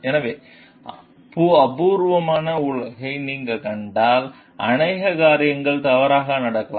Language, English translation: Tamil, So, if you seen an imperfect world, so many things may go wrong